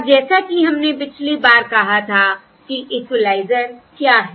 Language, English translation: Hindi, okay, Now, as we said last time, what is the equaliser to